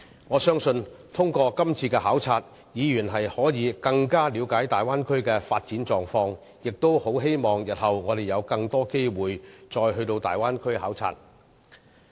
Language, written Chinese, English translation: Cantonese, 我相信通過今次的考察，議員可更了解大灣區的發展狀況，也希望我們日後有更多機會再到大灣區考察。, With this visit Members can better understand the development of the Bay Area and I hope we can have more opportunities to visit the Bay Area in the future